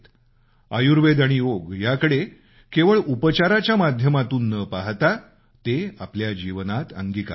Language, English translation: Marathi, Do not look at Ayurveda and Yoga as a means of medical treatment only; instead of this we should make them a part of our life